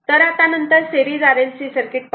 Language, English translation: Marathi, So, next is that series R L C circuit